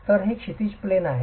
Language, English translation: Marathi, So, this is the horizontal plane